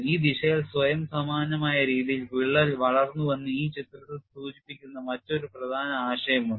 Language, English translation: Malayalam, There is also another important concept which is depicted in this picture that crack has grown in this direction in a self similar manner